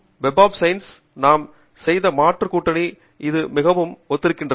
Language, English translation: Tamil, it is very much similar to the other demonstration we did on web of science